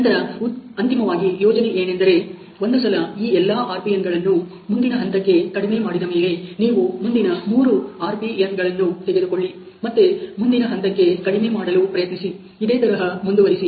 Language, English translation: Kannada, And then finally the idea is that once all these RPN’s are reduce to the next level, you can take next three RPN, again to try to reduce the next level so and so forth